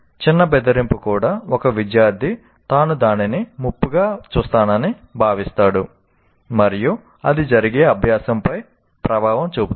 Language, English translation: Telugu, Even subtle intimidation, a student feels he will look at it as a threat and that has effect on the learning that takes place